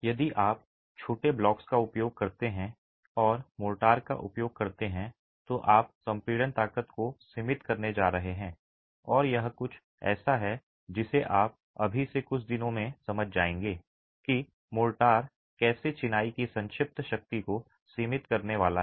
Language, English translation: Hindi, If you use small blocks and have motor, you are going to be limiting the compressive strength and this is something you will understand in a few days from now how the motor is going to be limiting the compressive strength of masonry